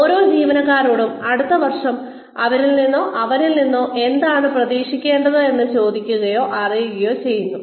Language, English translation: Malayalam, Every employee is asked, or informed as to, what is expected of her or him, in the next year